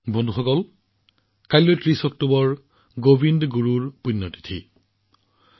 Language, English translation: Assamese, the 30th of October is also the death anniversary of Govind Guru Ji